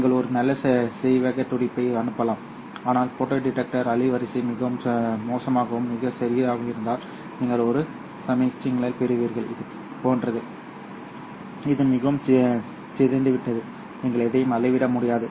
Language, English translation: Tamil, You might send in a nice rectangular pulse but if the photo detector bandwidth is very bad and very small then you will get a signal which is like this which is very distorted and you won't be able to measure anything